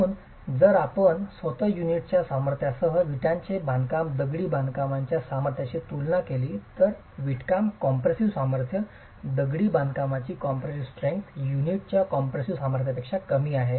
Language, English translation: Marathi, So, if you were to compare the strength of the brickwork masonry versus the strength of the unit itself, the brickwork compressive strength, masonry compressive strength, is lower than the unit compressive strength